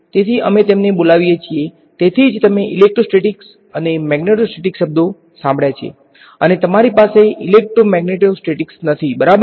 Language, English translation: Gujarati, So, we call them that is why you heard the words electrostatics and magneto statics or you do not have electromagneto statics ok